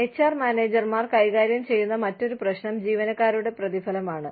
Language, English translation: Malayalam, The other issue, that HR managers deal with, is employee rewards